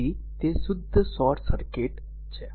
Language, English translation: Gujarati, So, it is a pure short circuit